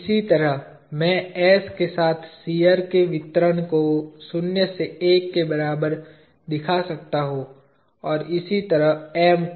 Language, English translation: Hindi, Similarly I can show the distribution of shear along s equal to zero to one, and similarly M